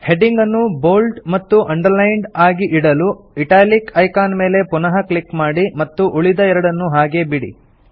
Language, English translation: Kannada, In order to keep the heading bold and underlined, deselect the italic option by clicking on it again and keep the other two options selected